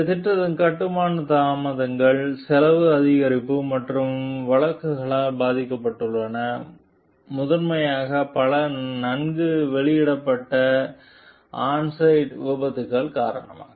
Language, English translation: Tamil, This project has been plagued by construction delays, cost increases and litigation, primarily because of several well published on site accidents